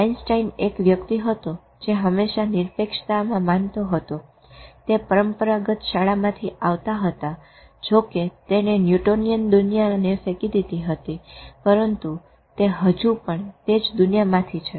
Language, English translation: Gujarati, Einstein was one person who always believed in objectivity coming from the traditional school, although he threw a Newtonian world, but he was still from that world